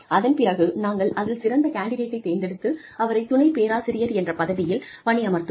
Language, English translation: Tamil, And then, we will choose the best candidate, and put them, put her or him, in the position of associate professor